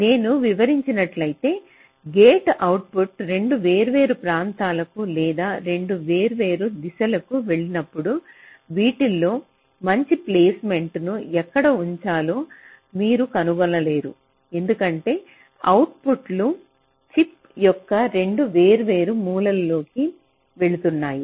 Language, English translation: Telugu, suddenly, if in the other case i just explained, that will be gates output goes to two different regions or two different directions, so that you cannot find out a good placement of these gate, where to place it, because the outputs are going into two different corners of the chip